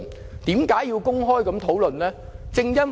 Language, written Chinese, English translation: Cantonese, 為甚麼要作公開討論呢？, Why is there a need for an open discussion?